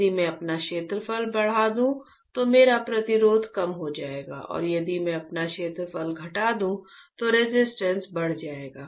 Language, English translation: Hindi, If I increase my area, my resistance would decrease and if I decrease my area, resistance would increase right